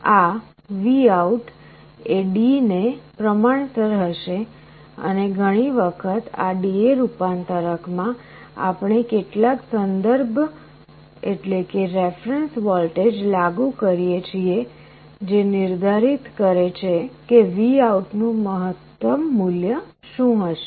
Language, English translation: Gujarati, So, this VOUT will be proportional to D, and often in this D/A converter, we apply some reference voltage which will determine what will be the maximum value of VOUT